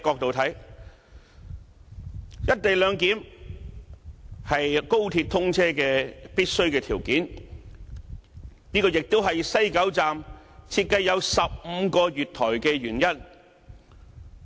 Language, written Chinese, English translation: Cantonese, 從務實的角度來看，"一地兩檢"是高鐵通車的必須條件。這個亦是西九站設計有15個月台的原因。, From a pragmatic point of view the co - location arrangement is a condition necessary to the commissioning of XRL and this is also the reason of designing 15 platforms at West Kowloon Station